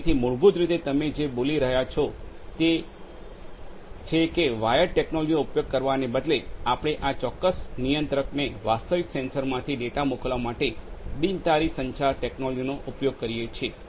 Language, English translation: Gujarati, So, basically what you are saying is that instead of using the wired technology, we could use wireless communication technology in order to send the data from the real sensors to this particular controller